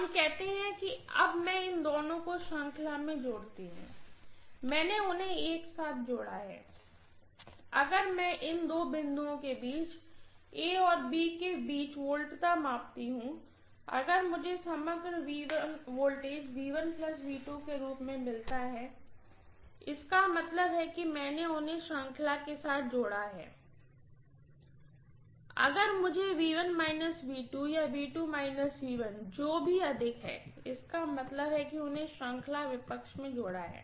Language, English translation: Hindi, Let us say, now I connect these two in series, I have connected them together, two terminals I have connected together and if I measure the voltage between these two points, between A and B, if I get the overall voltage as V1 plus V2 that means I have connected them in series addition, if I get rather V1 minus V2 or V2 minus V1 whichever is higher, that means I have connected them in series opposition, I hope you have understand